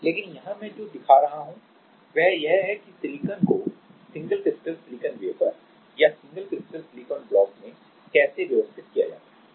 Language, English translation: Hindi, So, but here what I am showing is how silicon are arranged in a single crystal silicon wafer or single crystal silicon block